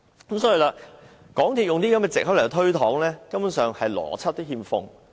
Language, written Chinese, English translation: Cantonese, 港鐵公司以這種藉口來推搪，連邏輯都欠奉。, MTRCL lacked the logic when it gave such an excuse